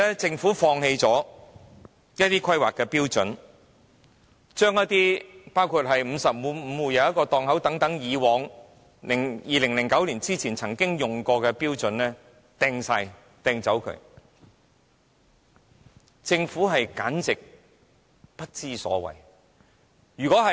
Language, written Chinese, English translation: Cantonese, 政府放棄了一些規劃標準，包括為每55戶設1個檔位，將這些於2009年前曾經採用的標準全部置之不理，簡直不知所謂。, It is simply nonsensical for the Government to abandon some planning standards including the provision of one stall for every 55 households and turn a blind eye to all these standards adopted prior to 2009